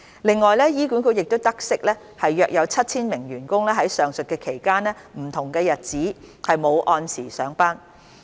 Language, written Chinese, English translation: Cantonese, 另外，醫管局得悉約有 7,000 名員工在上述期間的不同日子沒有按時上班。, Furthermore HA noted that around 7 000 staff members did not report for duty as scheduled on various days in the aforementioned period